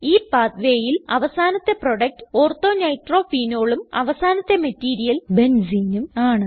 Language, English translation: Malayalam, In this pathway, the final product is Ortho nitrophenol and the starting material is Benzene